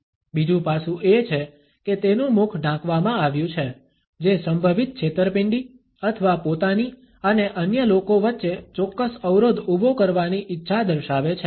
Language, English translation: Gujarati, Another aspect is that his mouth has been covered which is indicative of a possible deception or a desire to create a certain barrier between himself and the other people